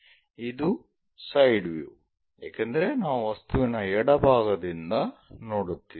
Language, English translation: Kannada, And this side view because we are looking from left side of the object